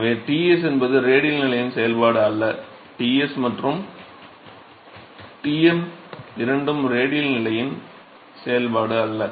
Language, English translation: Tamil, So, Ts is not a function of radial position and Ts and Tm both are not function of radial position